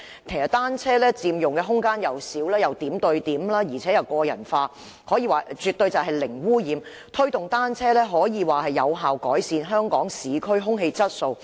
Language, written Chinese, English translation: Cantonese, 其實單車佔用的空間小，又可點對點，亦可個人化，可說絕對是零污染，推動單車應能有效改善香港市區空氣質素。, Bicycles occupy less space can go from point to point and can be personalized . Promoting cycling which can be considered as pollution - free should effectively improve the air quality in Hong Kong